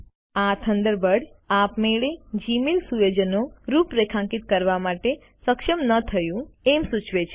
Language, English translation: Gujarati, In this tutorial, Thunderbird has configured Gmail correctly